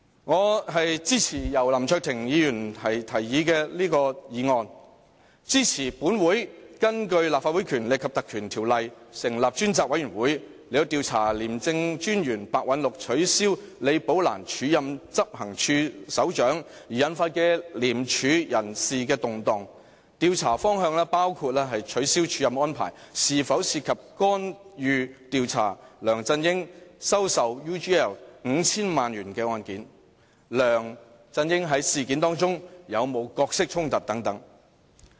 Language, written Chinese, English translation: Cantonese, 我支持由林卓廷議員提出的議案，支持本會引用《條例》成立專責委員會，調查廉政專員白韞六取消李寶蘭署任執行處首長而引發的廉署人事動盪，調查方向包括取消署任安排是否涉及干預調查梁振英收受 UGL 5,000 萬元的案件，梁振英在事件中有沒有角色衝突等。, I support Mr LAM Cheuk - tings motion and agree that this Council should invoke the Ordinance to appoint a select committee for conducting an investigation into the ICAC personnel reshuffle arising from Commissioner Simon PEHs cancellation of Ms Rebecca LIs acting appointment as Head of Operations . The areas to be investigated should include whether the cancellation of the acting appointment was related to any intervention in the investigation into LEUNG Chun - yings receipt of 50 million from UGL Limited whether there is any conflict of interest on the part of LEUNG Chun - ying and so on